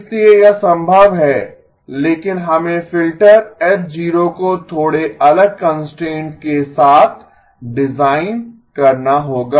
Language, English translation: Hindi, So it is possible but we have to design the filter H0 with slightly different constraints